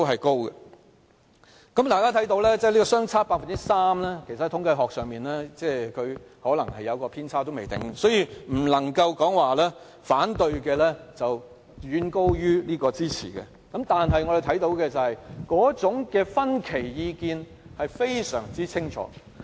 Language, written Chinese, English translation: Cantonese, 大家看到反對和支持的相差 3%， 其實在統計學上可能有偏差，所以不能說反對的遠高於支持的，但可以看到的是那種意見分歧是非常清楚的。, As we can see the difference between the number of supporters and opponents of the proposal is 3 % . Taking into account of the statistical deviation we cannot conclude that people against the proposal way outnumber those for it . But we can see clearly that public opinion is divided